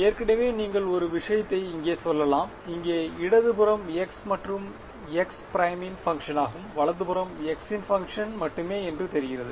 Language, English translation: Tamil, Already you can tell one thing that the left hand side over here is a function of x and x prime, right hand side seems to only be a function of x